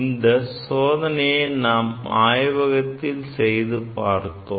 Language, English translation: Tamil, So, all these things we are able to demonstrate in a laboratory